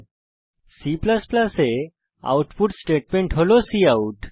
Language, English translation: Bengali, Also, note that the output statement in C++ is cout